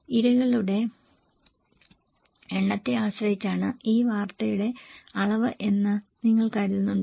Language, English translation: Malayalam, Do you think, that volume of news that depends on number of victims